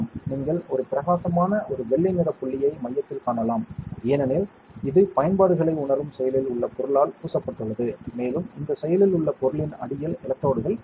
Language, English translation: Tamil, You can see a bright spot a white color spot at the center right that is because it has been coated with an active material for sensing applications, and underneath this active material you have electrodes